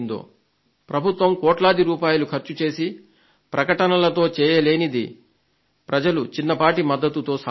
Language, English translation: Telugu, Advertisements worth crores, by the government, cannot achieve what has been achieved through your help